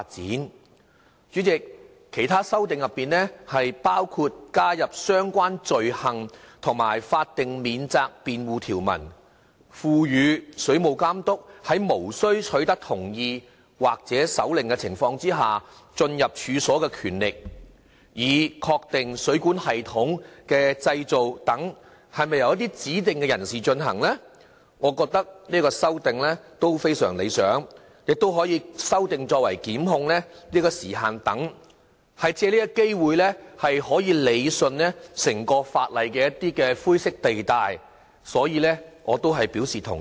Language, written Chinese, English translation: Cantonese, 代理主席，其他修訂包括加入相關罪行及法定免責辯護條文，賦予水務監督在無需取得同意或手令的情況下進入處所的權力，以確定水管系統的建造是否由指定人士進行，我認為這項修訂亦非常理想，同時亦修訂檢控時限等，可借這個機會理順整體法例的灰色地帶，所以我是表示同意的。, Deputy President other amendments include the creation of relevant offences and statutory defences and the giving of power of entry without warrant or consent to the Water Authority to ascertain whether the construction etc . of plumbing systems are carried out by designated persons . I think the amendments are very desirable